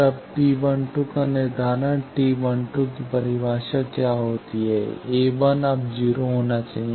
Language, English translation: Hindi, Then determination of T 12, T 12 what is a definition a 1 should be now 0